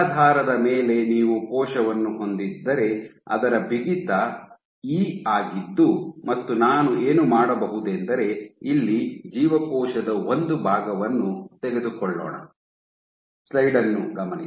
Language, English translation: Kannada, So, if you have a cell sitting on a substrate of given stiffness E and what I can do is let us take a section of the cell here